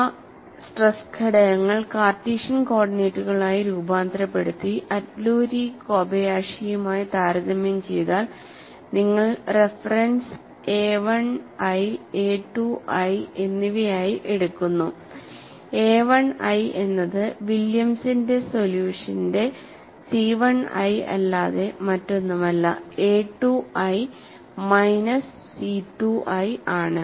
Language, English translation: Malayalam, If those stress components are transformed to Cartesian coordinates and compare it with Atluri Kobayashi; you take the reference as A 1i and A 2i; A 1i is nothing, but C 1i of Williams' solution and A 2i is nothing, but minus C 2i